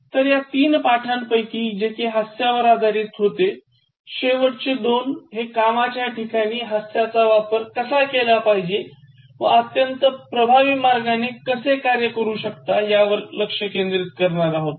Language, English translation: Marathi, And with these three lessons, which were on humour and the last two focusing particularly on how you can introduce that in the work environment and how you can let it function in a very effective manner